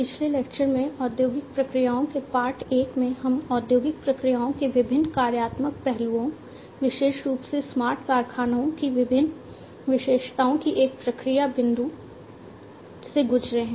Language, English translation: Hindi, In the previous lecture, in the part one of industrial processes, we have gone through the different functional aspects of industrial processes, the different attributes of smart factories particularly from a process point of view, we have gone through